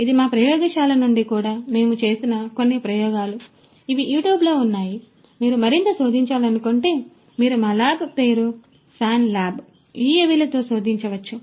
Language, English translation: Telugu, This is also from our lab you know some experiments that we have performed, these are all there in YouTube if you want to search further you know you can search with our lab name swan lab UAVs